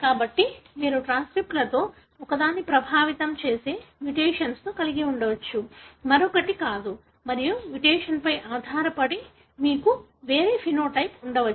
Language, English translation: Telugu, So you may have a mutation that may affect one of the transcripts, not the other and depending on the mutation you may have a different phenotype